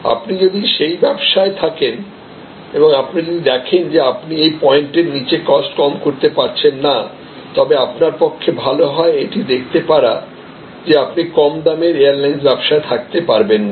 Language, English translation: Bengali, If you are in that business and you see that you are unable to reduce your cost below this point, then it is better for you to see that may be then you are no longer a player in the low cost airlines industry